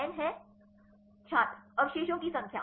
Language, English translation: Hindi, n is the; Number of residues